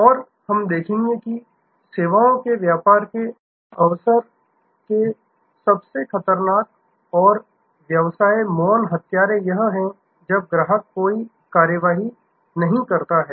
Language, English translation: Hindi, And we will see that the most dangerous and sort of silent killer of business opportunity of services, business is this, when customer takes no action